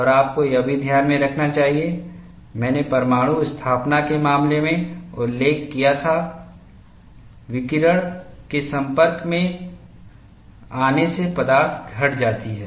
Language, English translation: Hindi, And you should also keep in mind, I had mentioned, in the case of nuclear installation, the material degrades because of exposure to radiation